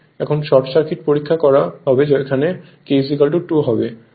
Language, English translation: Bengali, Now, short circuit test, here K is equal to 2